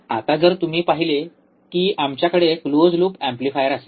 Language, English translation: Marathi, Now, if you see that we will have close loop amplifier